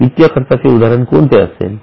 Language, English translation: Marathi, What will be an example of finance cost